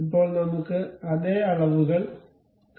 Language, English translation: Malayalam, Now, let us see of the same dimensions